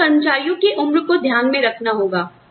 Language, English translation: Hindi, You need to keep, the age of employees in mind